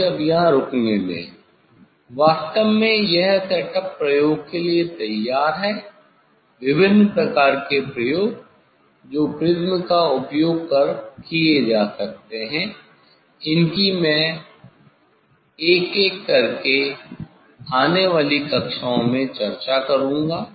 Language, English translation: Hindi, let me stop here now, actually this setup is ready for the experiment different kind of experiment one can do using the prism so that one by one, I will discuss in coming classes